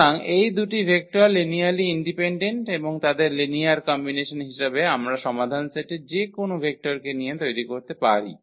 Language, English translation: Bengali, So, these two vectors are linearly independent and their linear combination we can generate any vector of the solution set